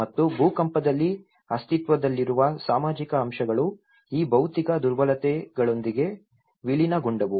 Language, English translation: Kannada, And in the earthquake, the existing social factors merged with these physical vulnerabilities